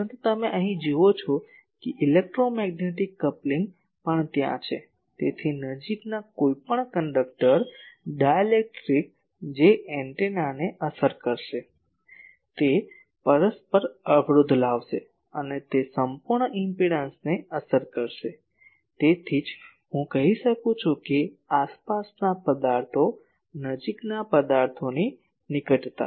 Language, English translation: Gujarati, But here you see electromagnetic coupling is also there so, any conductor dielectric nearby that will affect the antenna, that will give an mutual impedance and that will affect the total impedance, that is why I can say that proximity to surrounding objects, objects nearby surrounding means the